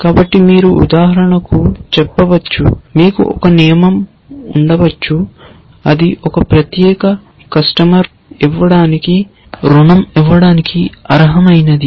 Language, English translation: Telugu, So, you might say for example, you might have a rule which says is a particular customer worthy of being given a loan